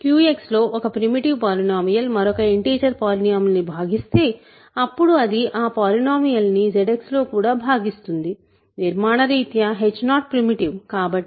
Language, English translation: Telugu, If a primitive polynomial divides another integer polynomial in Q X, then it divides that polynomial in Z X also; so, but h 0 is primitive by construction right